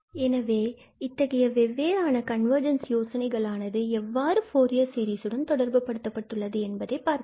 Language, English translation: Tamil, Then, we will come to the point of this different notion of convergence in the connection of the Fourier series that how this is related